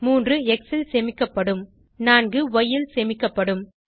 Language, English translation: Tamil, 3 will be stored in x and 4 will be stored in y